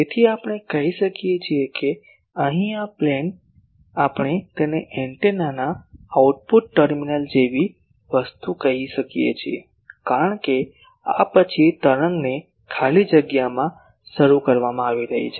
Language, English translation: Gujarati, So, we can say that this plane here we can call this as the something like output terminal of an antenna, because after this the wave is being launched in free space